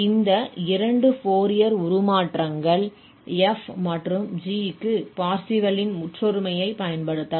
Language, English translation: Tamil, So, having these two Fourier cosine transforms for f and g we can now apply the Parseval's identity